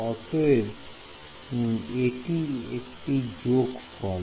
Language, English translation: Bengali, It is a sum of 2